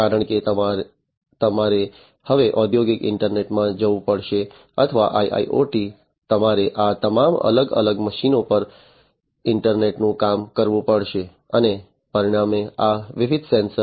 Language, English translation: Gujarati, Because you have to now in the industrial internet or IIoT you have to internet work all these different machines and consequently these different sensors